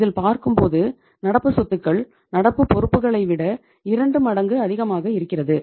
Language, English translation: Tamil, Your current assets are two times of your current liabilities